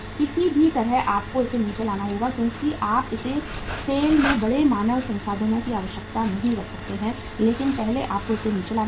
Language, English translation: Hindi, Anyhow you have to bring it down because you cannot sustain this much of the large human resources are not required in SAIL so first you have to bring them down